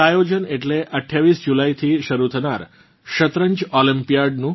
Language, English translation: Gujarati, This is the event of Chess Olympiad beginning from the 28th July